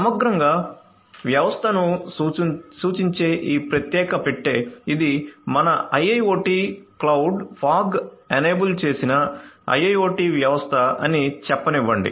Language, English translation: Telugu, So, holistically we have let us say that this particular box representing our system right, this is our IIoT cloud fog enabled IIoT system